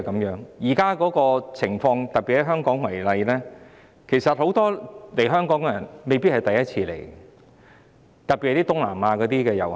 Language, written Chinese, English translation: Cantonese, 現在的情況是，特別以香港為例，其實很多訪港人士未必是首次來港，特別是東南亞的遊客。, The current situation is that notably in Hong Kong for example many arriving visitors are in fact not necessarily first - time visitors . This is particularly true of tourists from Southeast Asia